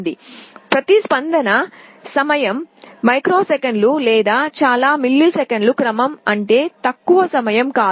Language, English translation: Telugu, This you should remember; that means, the response time is not of the order of microseconds or very lower milliseconds